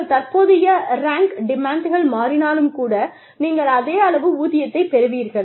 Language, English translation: Tamil, Even, if the demands of your current rank change, you will still get the same pay